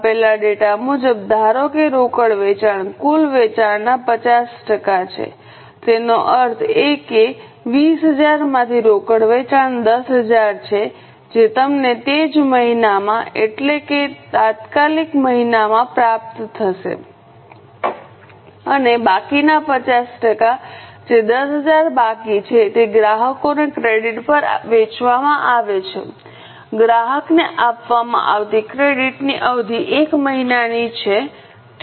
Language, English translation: Gujarati, As per the given data, assume that cash sales are 50% of total sales that means from 20,000 cash sales are 10,000 that you will receive in the immediate month, same month and remaining 50% that is remaining 10,000 is sold to customers on credit, the period of credit allowed to customer is one month